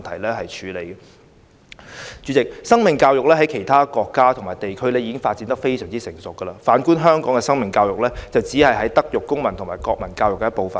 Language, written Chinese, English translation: Cantonese, 代理主席，在其他國家和地區，生命教育已發展得非常成熟，反觀香港，生命教育只是"德育、公民及國民教育"的一部分。, Deputy President whereas life education is already well - developed in other countries and places it is only part of Moral Civic and National Education in Hong Kong